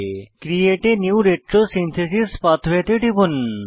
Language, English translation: Bengali, Click on Create a new retrosynthesis pathway